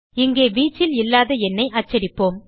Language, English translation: Tamil, Here we print number not in range